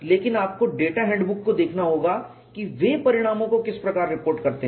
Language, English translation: Hindi, But you will have to look at that data handbook how they reported this